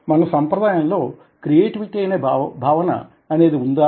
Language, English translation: Telugu, do we traditionally have a concept of creativity in our tradition